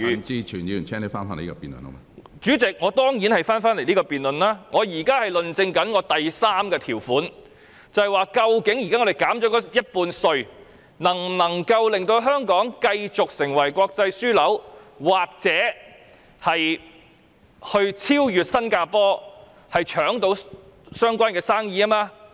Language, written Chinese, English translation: Cantonese, 主席，我當然會返回這項辯論，我現在是論證我的第三個論點，即究竟現在稅務寬減 50%， 能否令香港繼續成為國際保險樞紐，或者超越新加坡，爭奪有關的生意。, Besides under current circumstances we cannot avoid some discussion . I highly doubt whether we can maintain Hong Kongs status as an international insurance hub simply by profits tax concessions for the insurance industry as the Government and Mr CHAN Kin - por have said . The tax reduction aims to attract more insurance companies to set up business in Hong Kong